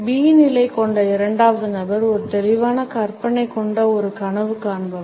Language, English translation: Tamil, The second person with the position B is rather a dreamer who happens to have a vivid imagination